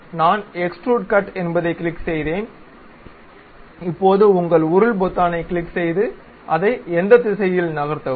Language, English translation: Tamil, So, I clicked Extrude Cut, now click your scroll button, move it in that direction